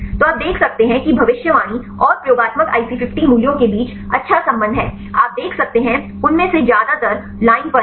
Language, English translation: Hindi, So, you can see is the good correlation between the predicted and the experimental IC50 values; you can see most of them are on the line